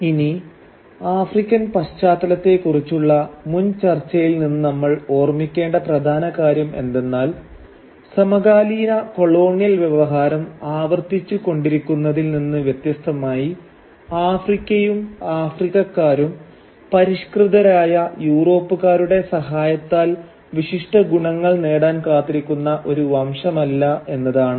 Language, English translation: Malayalam, Now the most important thing that we need to remember from our previous discussion of the African context is that unlike what the contemporary colonial discourse kept repeating, Africa and Africans were not a race of barbarians who were waiting to be redeemed by the civilised Europeans who colonised their land right, that was far from the case